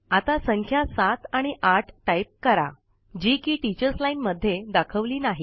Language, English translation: Marathi, Now, lets type the numbers seven amp eight, which are not displayed in the Teachers Line